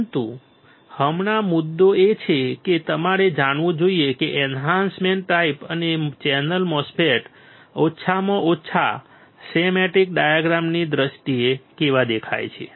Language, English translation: Gujarati, But right now the point is now you should know how the enhancement type and channel MOSFET looks like in terms of at least schematic diagram